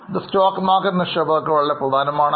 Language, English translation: Malayalam, This become very important for stock market investors